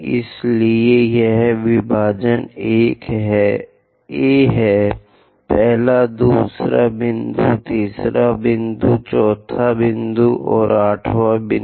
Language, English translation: Hindi, So, the division is this is A first, second point, third point, fourth point, and eighth point